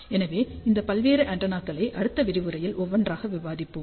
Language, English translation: Tamil, So, these various antennas we will start discussing one by one starting from next lecture, so